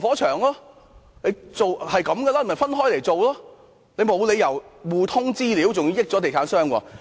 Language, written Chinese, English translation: Cantonese, 這些合約是需要分開來處理的，沒理由互通資料，還要讓地產商得益。, These contracts needed to be handled separately . There was no reason to share the information and even benefit the real estate developer